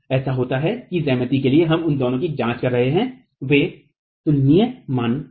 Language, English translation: Hindi, It so happens that for the geometry that we are examining those two are comparable values